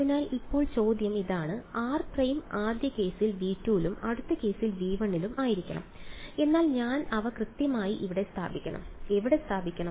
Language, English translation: Malayalam, So, now the question is, fine r prime must belong to V 2 in the first case and V 1 in the next case, but where exactly should I put them